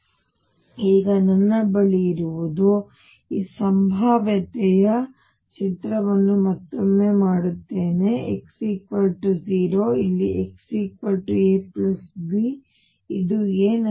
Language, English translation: Kannada, So, what I have now is I will again make this picture of this potential, x equals 0 here x equals a plus b, this is a